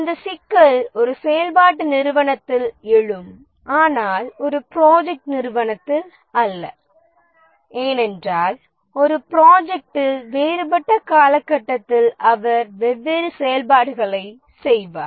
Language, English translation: Tamil, That problem would arise in a functional organization but not in a project organization because at different points of time in the same project you will be doing different activities